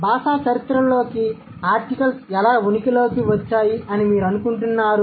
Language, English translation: Telugu, So, what do you think, how did articles come into existence in history of language